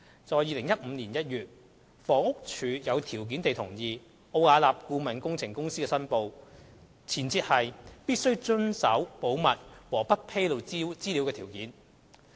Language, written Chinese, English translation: Cantonese, 在2015年1月，房屋署有條件地同意奧雅納的申報，前設是必須遵守保密和不披露資料的條件。, In January 2015 HD approved Arups declaration on the conditions that Arup must observe confidentiality and non - disclosure of information